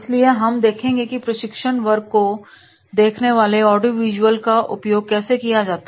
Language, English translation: Hindi, So, we will see how to use the audio visuals in the training class